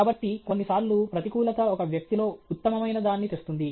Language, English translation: Telugu, So sometimes adversity brings out the best in a person okay